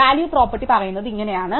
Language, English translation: Malayalam, So, the value property says that